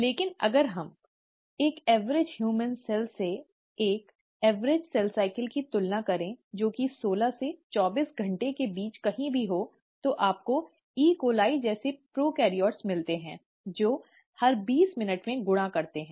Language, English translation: Hindi, But if we were to compare an average cell cycle for an average human cell which is anywhere between sixteen to twenty four hours, you find prokaryotes like E